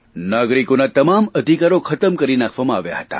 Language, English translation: Gujarati, All the rights of the citizens were suspended